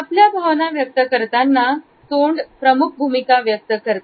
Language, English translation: Marathi, Mouth plays a major role in communication of our emotions